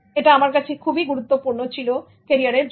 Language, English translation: Bengali, So that was very crucial for my career